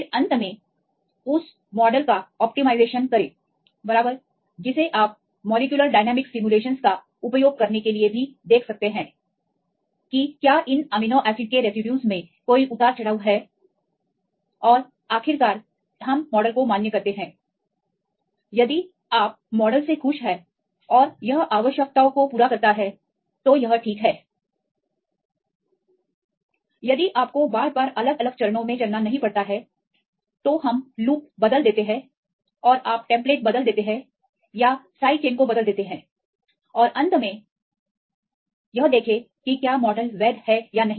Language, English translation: Hindi, Then finally, optimize the model right you can also try to use molecular dynamic simulations to see whether there is any fluctuations in these amino acids residues and finally, we validate the model, if you are happy with the model and it satisfies the requirements then it is fine, if not you have to iterate again and again with the different steps we change the loops and you change the template or change the side chains right and finally, see whether if the model is valid or not